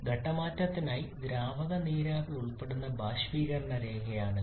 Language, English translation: Malayalam, This is the vaporisation line involving liquid vapor for phase change